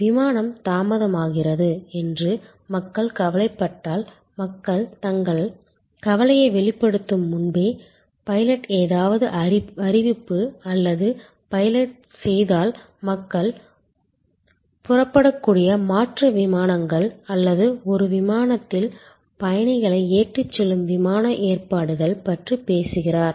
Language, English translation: Tamil, If people are anxious that the flight is getting delayed and the pilot makes some announcement or the pilot even before people express their anxiety, talks about alternate flights that people can take off or the airline arrangements that are being made to put the passengers from one flight to the other flight